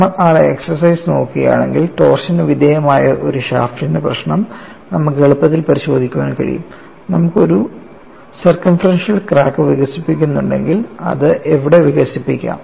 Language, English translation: Malayalam, And if you look at that exercise, you can easily verify for the problem of a shaft subjected to torsion, if you have a circumferential crack developed, where it could develop